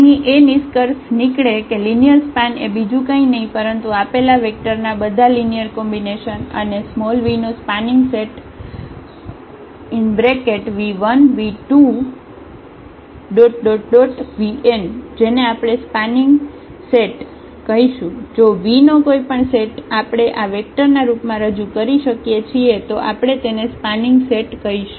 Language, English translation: Gujarati, Here the conclusion is that this linear span is nothing, but all the all linear combinations of the given vectors and the spanning set which v 1, v 2, v n of v we will call that this is a spanning set, if any vector of this v, we can represent in the form of these vector these then we call that this is a spanning set